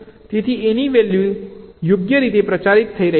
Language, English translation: Gujarati, so the value of a is getting propagated, right